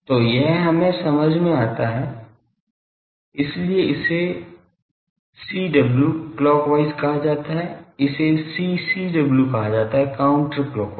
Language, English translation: Hindi, So, this gives us the sense; so this one is called CW clockwise sense; this is called CCW; counter clockwise sense